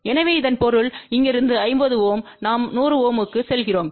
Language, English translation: Tamil, So that means, from here 50 ohm we are going to 100 ohm